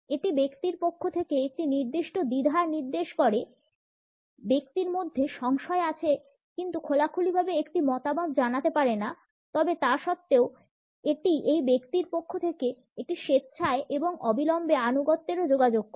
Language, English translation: Bengali, It indicates a certain hesitation on the part of the person, the person has diffidence and cannot openly wise an opinion, but nonetheless it also communicates a willing and immediate obedience on the part of this person